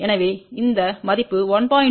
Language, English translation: Tamil, So, this value 1